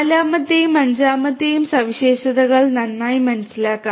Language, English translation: Malayalam, The third the fourth and the fifth properties are quite understood